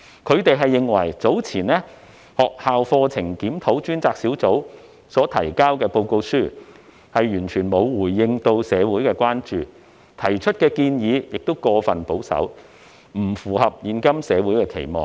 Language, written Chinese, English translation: Cantonese, 他們認為學校課程檢討專責小組較早前提交的報告，完全沒有回應社會的關注，當中提出的建議亦過於保守，不符合現今社會的期望。, They opine that the report presented by the Task Force on Review of School Curriculum earlier has completely failed to respond to community concerns and the overly conservative recommendations put forth therein have also fallen short of the community expectations